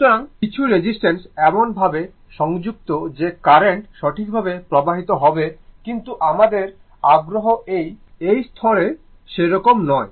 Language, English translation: Bengali, So, some resistance corrected resistance is connected such that your current will flow right, but we will we have our interest is not like that at the at this level